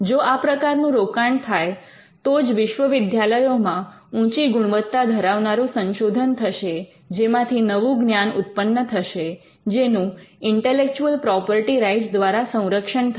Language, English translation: Gujarati, Only if that investment is made will universities be doing research and quality research of by which they could be new knowledge that comes out of that research, which could be protected by intellectual property rights